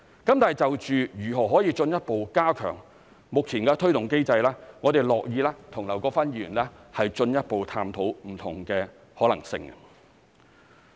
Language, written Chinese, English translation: Cantonese, 但是，就如何可以進一步加強目前的推動機制，我們樂意與劉國勳議員進一步探討不同的可能性。, However we are willing to explore more possibilities with Mr LAU Kwok - fan to further enhance the existing mechanisms for driving the development